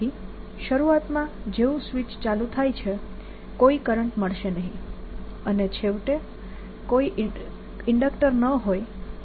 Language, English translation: Gujarati, so initially, as soon as switch is turned on, there is no current, and finally, as if there's no inductor there, the current becomes e over r